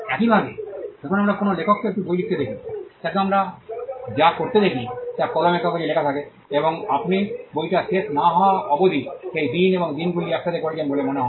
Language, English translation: Bengali, Similarly, when we see an author writing a book, what we see him do is putting the pen on paper, and you seem laboriously doing that days and days together till is book is done